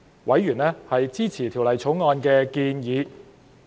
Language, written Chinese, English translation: Cantonese, 委員支持《條例草案》的建議。, Members are supportive of the proposals in the Bill